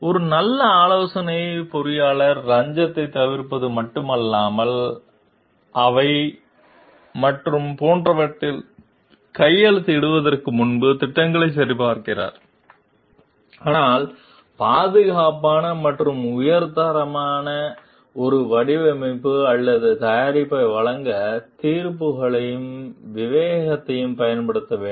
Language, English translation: Tamil, A good consulting engineer not only shuns bribery, checks plans before signing off on them and the like, but also must exercise judgments and discretion to provide a design or product that is safe and of high quality